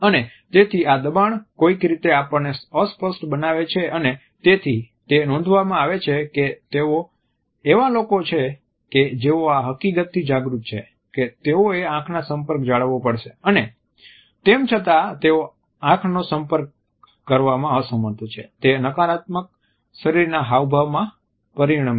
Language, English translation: Gujarati, And therefore, this pressure would somehow make us fidgeting and therefore, it has been noticed that they are people who are acutely aware of the fact that they have to maintain an eye contact and is still there unable to do it, it results in negative body postures also